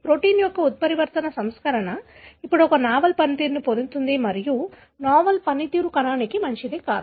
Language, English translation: Telugu, The mutant version of the protein now gains a novel function and the novel function could be not good for the cell